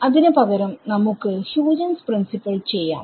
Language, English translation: Malayalam, Instead we will do Huygens principle ok